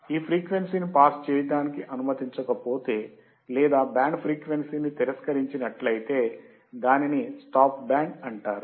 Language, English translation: Telugu, If this frequency is not allowed to pass or if band frequency is rejected, then it is called stop band